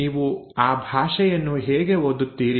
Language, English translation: Kannada, How do you read that language